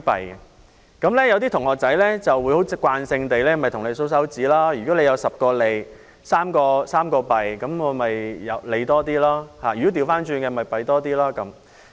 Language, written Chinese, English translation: Cantonese, 有些參加比賽的同學會慣性地數算，如果有10個利 ，3 個弊，那便是利多一點；相反，便是弊多一點。, Some students who took part in debates would normally count the number of merits and demerits . If there were 10 merits and 3 demerits then the advantages would outweigh the disadvantages and vice versa